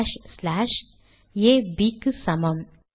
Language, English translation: Tamil, Slash, slash, A equals B